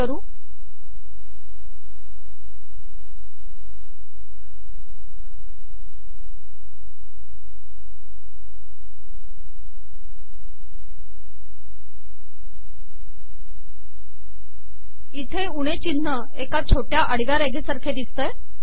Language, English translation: Marathi, Notice that the minus sign appears as a small dash here, as a small dash here